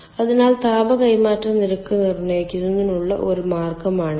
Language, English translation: Malayalam, so this is one way of determining the heat transfer rate